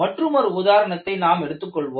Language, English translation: Tamil, We take another example